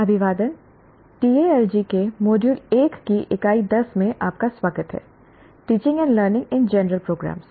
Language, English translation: Hindi, Greetings, welcome to Unit 10 of Module 1 of Tal G, which is teaching and learning in general programs